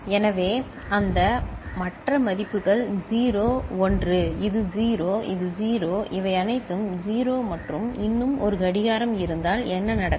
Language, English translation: Tamil, So, that is what you can see that rest of the values are 0 1, this is 0, this is 0, all of them are 0 and one more clock what will happen